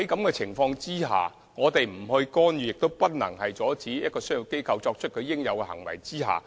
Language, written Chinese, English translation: Cantonese, 我們不作出干預，亦不能阻止商業機構作出應有的行為。, We cannot intervene in nor can we stop commercial enterprises from taking proper actions